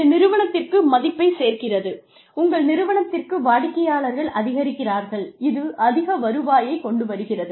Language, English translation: Tamil, That adds to the value, your organization generates for its clients, that brings in more revenue